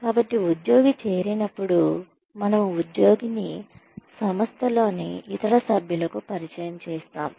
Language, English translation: Telugu, So, when the employee joins, we introduce the employee to other members of the organization